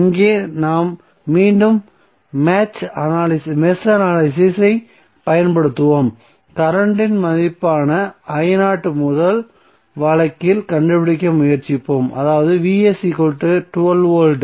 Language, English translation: Tamil, So here we will apply match analysis again and try to find out the current value I0 in first case that is when Vs is equal to 12 volt